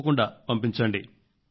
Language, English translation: Telugu, Please do send